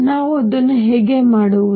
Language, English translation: Kannada, How do we do that